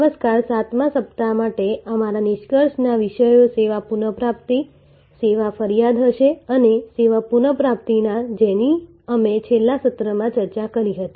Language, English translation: Gujarati, Hello, so our concluding topics for the 7th week will be from service recovery, service complaint and service recovery which we discussed in the last session